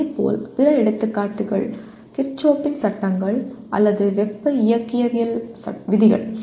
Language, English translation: Tamil, Similarly, other examples are Kirchoff’s laws or laws of thermodynamics